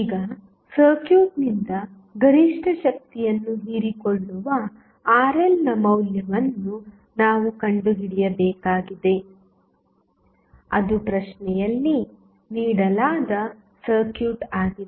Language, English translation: Kannada, Now, we need to find out the value of Rl which will absorb maximum power from the circuit, that is the circuit which was given in the question